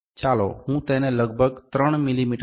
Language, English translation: Gujarati, So, let me try to reduce it by about 3 mm